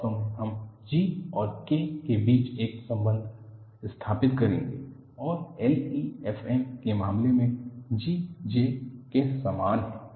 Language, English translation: Hindi, In fact, we would establish an interrelationship between G and K and in the case of LEFM, G is same as J